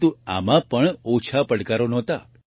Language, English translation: Gujarati, But there were no less challenges in that too